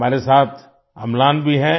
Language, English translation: Hindi, Amlan is also with us